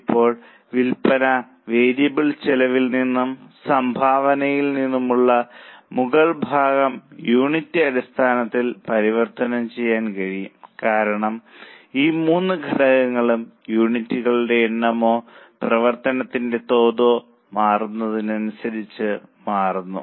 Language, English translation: Malayalam, Now the upper part that is from sales variable cost and contribution can be converted on per unit basis because all these three components change as the number of units or the level of activity changes